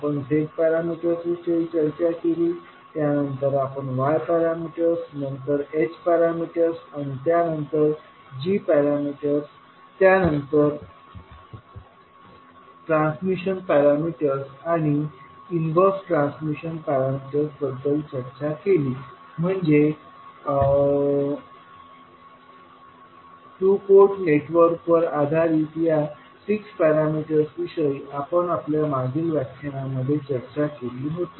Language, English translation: Marathi, We discussed about Z parameters, then we discussed about Y parameters, then H parameters, then G parameters, then transmission parameters and the inverse transmission parameters, so these were the 6 parameters based on two port networks we discussed in our previous lectures